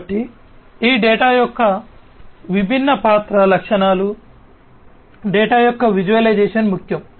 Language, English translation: Telugu, So, all these different character characteristics of this data the visualization of the data is important